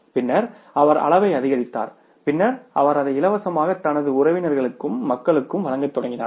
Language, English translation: Tamil, Then he increased the level then he started giving it to his relatives other people as the free of cost